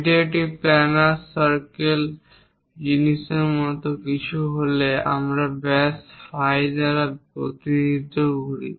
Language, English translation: Bengali, If it is something like a circle planar thing, we represent by diameter phi